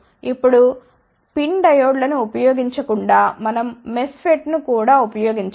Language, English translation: Telugu, Now, instead of using PIN diodes we can also use MESFET